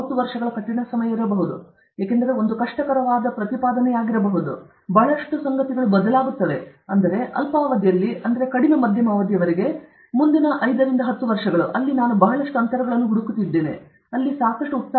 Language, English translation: Kannada, 30 years may be a difficult time, because it may be a difficult proposition, because lot of things will change, but in the short term short to medium term, the next 5 to 10 years where is it that I am finding lot of gaps